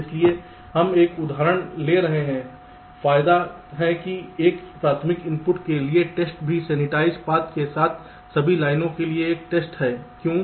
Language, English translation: Hindi, the advantages are: the test from a for a primary input is also a test for all the lines along the sensitized path